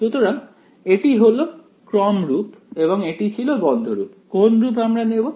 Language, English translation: Bengali, So, this is the series form and that was a closed form which form should we chose